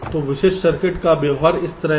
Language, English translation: Hindi, so the behavior of typical circuits is like this